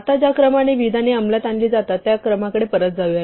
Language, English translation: Marathi, Now let us go back to the order in which statements are executed